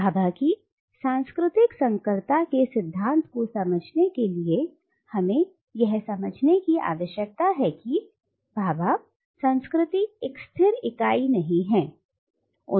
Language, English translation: Hindi, Now, in order to understand Bhabha’s theory of cultural hybridity, we need to understand that for Bhabha culture is not a static entity